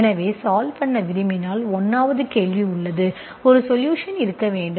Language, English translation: Tamil, So if you want to have the solution, so 1st there is a question, you should have a solution